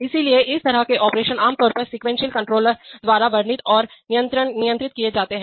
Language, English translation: Hindi, So such operations are typically described and controlled by a sequence controllers